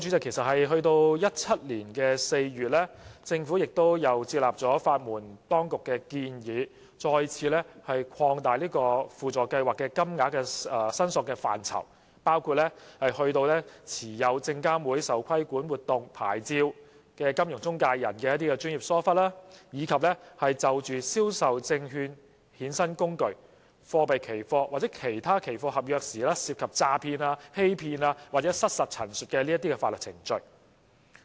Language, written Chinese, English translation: Cantonese, 其實在2017年4月，政府已接納法援當局的建議，再次擴大輔助計劃的申索範疇，包括持有證券及期貨事務監察委員會受規管活動牌照的金融中介人的專業疏忽，以及就銷售證券衍生工具、貨幣期貨或其他期貨合約，所涉及的詐騙、欺騙或失實陳述等法律程序。, Monetary claims against the vendors in the sale of completed or uncompleted first - hand residential properties were also included . As a matter of fact in April 2017 the Government accepted the recommendations made by the Legal Aid Services Council to further expand the scope of SLAS to cover claims for professional negligence against financial intermediaries licensed for regulated activities by the Securities and Futures Commission; and claims for proceedings in derivatives of securities currency futures or other futures contracts when fraud deception or misrepresentation was involved at the time of purchase